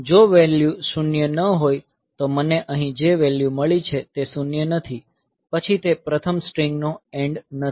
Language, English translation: Gujarati, So, if the value is non zero; the value that I have got here is non zero; then that is not the end of the first string